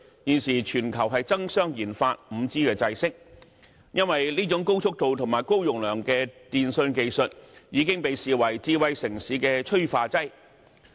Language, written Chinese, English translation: Cantonese, 現時全球爭相研發 5G 制式，因為這種高速度及高容量的電訊技術已經被視為智慧城市的催化劑。, The world is now engaged in a race for RD of 5G standard given that such a high - speed and high - capacity telecommunications technology has been seen as the catalyst for a smart city